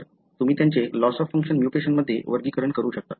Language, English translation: Marathi, So, let us look into one class that is loss of function mutation